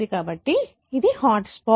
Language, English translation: Telugu, So, that is the hotspot